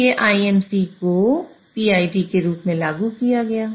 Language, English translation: Hindi, So, IMC implemented as PID